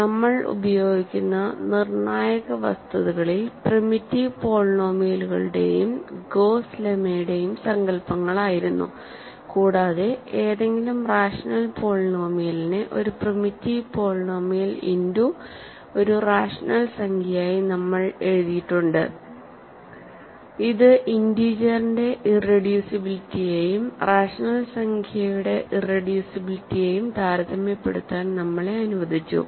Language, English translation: Malayalam, In the crucial facts we use were the notions of primitive polynomials and Gauss lemma, and using that we have written any rational polynomial as a rational number times a primitive polynomial and that allowed us to compare irreducibility over the integers and irreducibility over the rationales